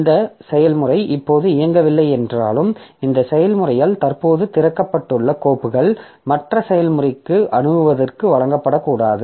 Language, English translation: Tamil, Even if this process is not executing now, so it is the files that are captured by that are currently opened by this process should not be given to other processes to access